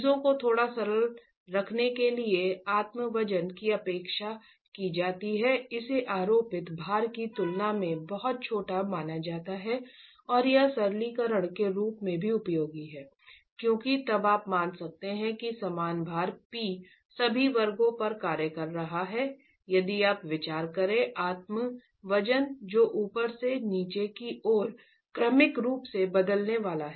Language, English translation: Hindi, To keep things a little simple, the self weight is neglected is assumed to be very small in comparison to the superimposed load and this is also useful as a simplification because then you can assume that the same load P is acting at all sections if you consider the self weight that's going to be incrementally changing from the top to the bottom